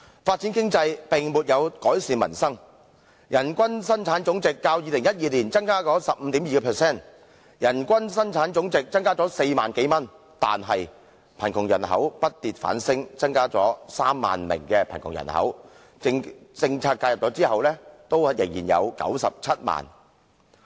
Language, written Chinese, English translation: Cantonese, 發展經濟並沒有改善民生，人均生產總值較2012年增加 15.2%， 即增加了4萬多元，但貧窮人口卻不跌反升，增加 30,000 名貧窮人口，即使在政策介入後，仍有 970,000 人。, Hence developing the economy has not improved the livelihood of the people . The GDP per capita has increased by 15.2 % or some 40,000 as compared with the GDP per capita in 2012 . But the poor population has grown rather than reduced by 30 000 persons and the poor population after policy intervention still reached 970 000 persons